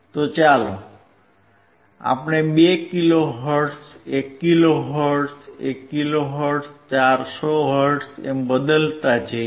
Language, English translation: Gujarati, So, let us change to 2 kilo hertz, 1 kilo hertz, 1 kilo hertz, 400 hertz, ok